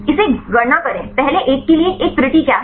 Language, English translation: Hindi, Calculate the; what is a error for the first one